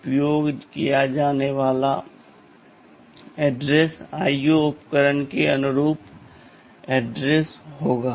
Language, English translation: Hindi, The address to be used will be the address corresponding to the IO devices